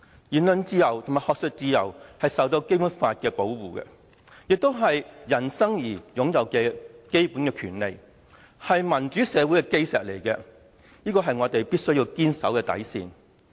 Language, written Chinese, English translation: Cantonese, 言論自由和學術自由受《基本法》保護，亦是人生而擁有的基本權利，是民主社會的基石，是我們必須堅守的底線。, The freedom of speech and academic freedom are protected by the Basic Law and they are also the basic rights people are born with as well as the cornerstone of democracy and the bottom line we must defend steadfastly